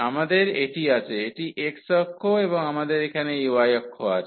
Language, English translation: Bengali, We have this let us say this is x axis and we have here this y axis